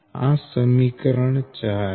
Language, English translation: Gujarati, this is equation three